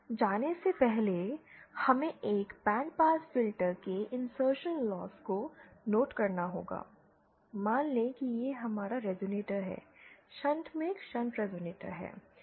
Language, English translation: Hindi, Before we go, we have to note that the insertion loss of a band pass filter, suppose this is our resonator, a shunt resonator in shunt